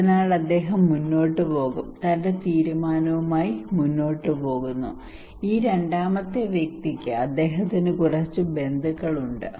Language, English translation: Malayalam, So he would proceed, go ahead with his decision then this second person he have some relatives